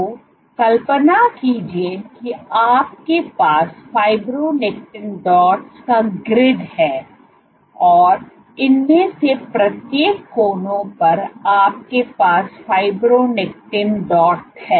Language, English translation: Hindi, So, imagine you have a grid of fibronectin dots, imagine at each of these corners you have a fibronectin dot